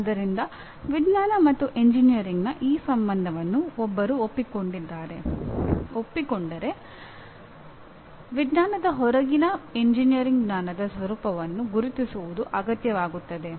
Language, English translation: Kannada, So if one accepts this relationship of science and engineering it becomes necessary to identify the nature of knowledge of engineering which is outside science